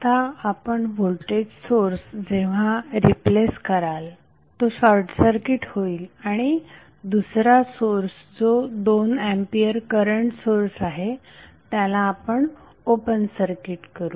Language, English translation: Marathi, Now when you replace the voltage source it will become short circuited and we have another source which is current source that is 2A current source